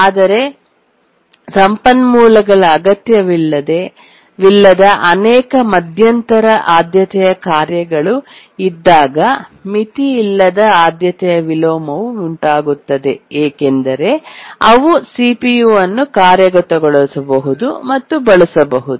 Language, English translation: Kannada, But then the unbounded priority inversion arises when there are many intermediate priority tasks which are not needing the resource and therefore they can execute and use the CPU